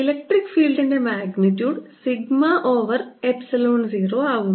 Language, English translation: Malayalam, the electric field is going to be sigma over epsilon zero